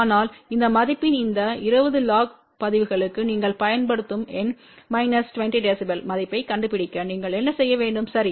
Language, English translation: Tamil, So, what you have to do to find the numeric value you apply to this 20 log of this value which is equal to minus 20 db ok